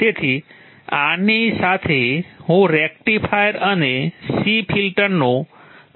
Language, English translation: Gujarati, So with this I will close this topic of rectifier and C filter